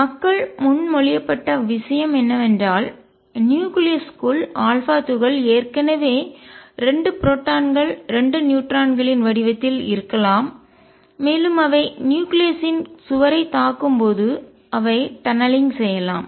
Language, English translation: Tamil, What people proposed is that inside the nucleus the alpha particle maybe already in the form of 2 protons 2 neutrons, and when they hit the wall of the nucleus then they can tunnel through